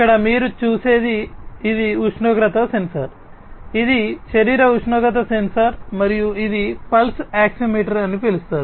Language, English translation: Telugu, Here what you see this is the temperature sensor this is the body temperature sensor that is there and this is something known as the pulse oximeter